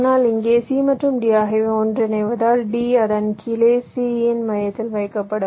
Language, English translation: Tamil, but here, because c and d are merging, d will be placed just to the center of c, below it